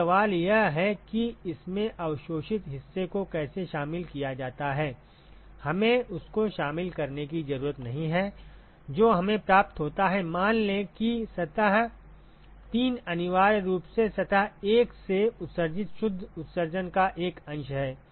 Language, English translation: Hindi, So, the question is how does it include the absorbed part we do not have to include that right whatever is received by let us say surface 3 is essentially what is a fraction of what is actually emitted net emission from surface 1